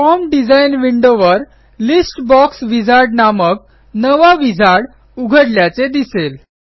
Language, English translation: Marathi, Notice that a new wizard called List Box Wizard has opened up over the Form design window